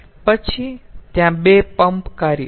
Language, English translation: Gujarati, then there are two pump work